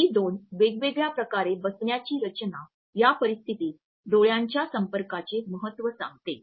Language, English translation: Marathi, These two different seating arrangements automatically convey the significance of eye contact in these type of situations